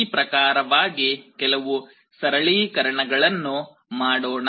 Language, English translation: Kannada, In this way let us do some simplification